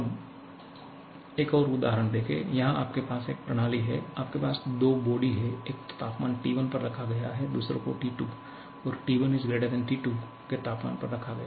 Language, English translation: Hindi, Look at another example now, here you have a system, it is taking, you have 2 bodies; one kept at temperature T1, other kept at temperature T2 and T1 is > T2